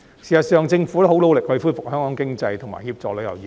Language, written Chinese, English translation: Cantonese, 事實上，政府已很努力恢復香港經濟，以及協助旅遊業。, In fact the Government has been working very hard to revive the economy of Hong Kong and help the tourism industry